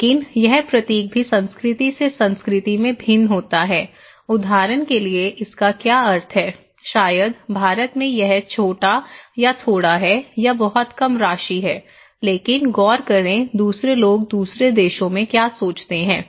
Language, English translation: Hindi, But also it varies from culture to culture this symbol, what is the meaning of this one for example, maybe in India, this is chota or thoda, it is very small amount, okay but look into other what other people in other countries they think